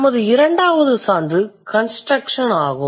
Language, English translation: Tamil, Then we have the second example construction